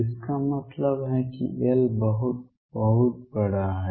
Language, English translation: Hindi, What it means is L is very, very large